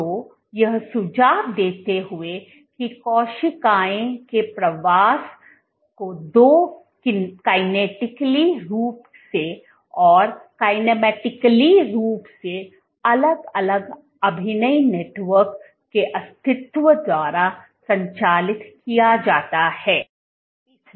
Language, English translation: Hindi, So, suggesting that in cells migration is driven by the existence of two kinetically and kinematically distinct acting networks